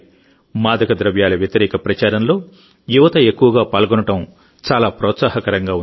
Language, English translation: Telugu, The increasing participation of youth in the campaign against drug abuse is very encouraging